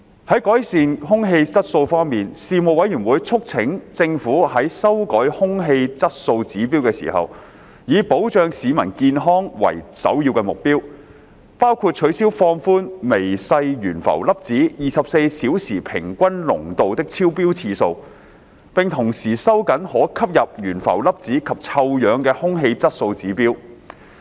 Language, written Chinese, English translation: Cantonese, 在改善空氣質素方面，事務委員會促請政府在修改空氣質素指標時，以保障市民健康為首要目標，包括取消放寬微細懸浮粒子24小時平均濃度的超標次數，並同時收緊可吸入懸浮粒子及臭氧的空氣質素指標。, In respect of improving air quality the Panel urged the Government to undertake review of Air Quality Objectives AQOs with the primary goal of protecting public health including withdrawing its proposal of relaxing the allowable exceedances for 24 - hour average concentration of fine suspended particulates as well as tightening the AQOs for respirable suspended particulates and ozone at the same time